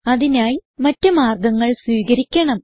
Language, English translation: Malayalam, It must be done by other methods